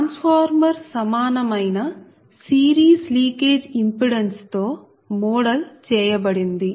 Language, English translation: Telugu, so the transformer actually the transformer is modeled with equivalent series leakage impedance